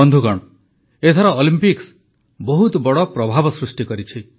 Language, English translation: Odia, this time, the Olympics have created a major impact